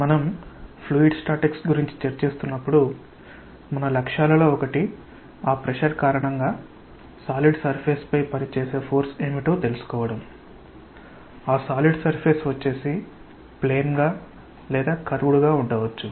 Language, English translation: Telugu, When we are discussing about fluid statics, one of our objectives will be that to find out because of that pressure what is the force that is acting on a solid surface, the solid surface may be a plane one or may be a curved one